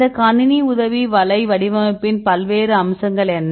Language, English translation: Tamil, So, what are the various aspects of this computer aided web design right